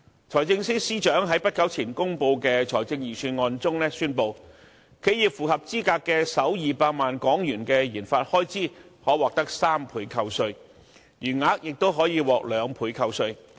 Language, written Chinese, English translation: Cantonese, 財政司司長在不久前公布的財政預算案中宣布，企業符合資格的首200萬元的研發開支可獲3倍扣稅，餘額亦可以獲得2倍扣稅。, In the Budget released not long ago the Financial Secretary announced the provision of a 300 % tax deduction for the first 2 million qualifying RD expenditure and a 200 % deduction for the remainder